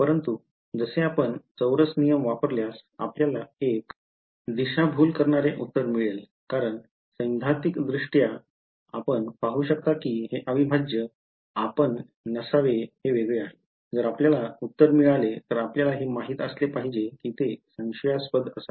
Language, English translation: Marathi, But, as it is if you use a quadrature rule you will get a misleading answer because, theoretically you can see that this integral is divergent you should not you, if you get an answer you should know that it should be suspicious